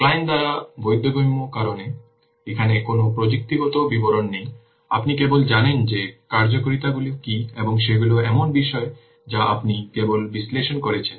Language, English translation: Bengali, Understandable by the client because here no technical details are there, you just what are the functionalities and they are associated things you are just analyzing